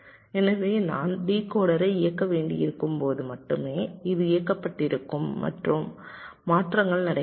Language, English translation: Tamil, so only when i require to enable the decoder, only then this will be enabled and the transitions will take place